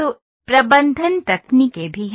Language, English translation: Hindi, So, management techniques are also there